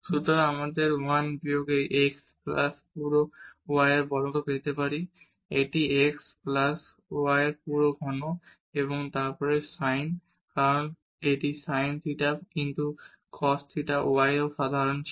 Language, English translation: Bengali, So, we will get 1 minus this x plus y whole square this is x plus y whole cube and then this is sin because it was common in also sin theta x plus theta y